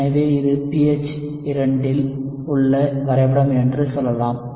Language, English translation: Tamil, So let us say this is the plot at pH = 2